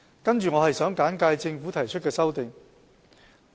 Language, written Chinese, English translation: Cantonese, 接着，我想簡介政府提出的修正案。, I move that the Amendment Order be amended